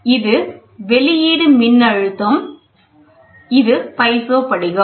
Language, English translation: Tamil, So, this is the output voltage and this is a piezo crystal, ok